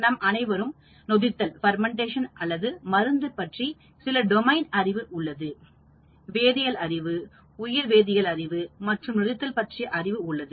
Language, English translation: Tamil, We have some domain knowledge whether it is fermentation or drug testing, we have a chemistry knowledge or a bio chemistry knowledge or a fermentation knowledge